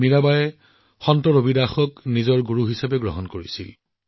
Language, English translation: Assamese, Mirabai considered Saint Ravidas as her guru